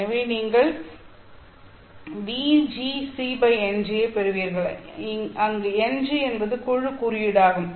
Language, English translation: Tamil, So you get VG as c by n g where n g is the group index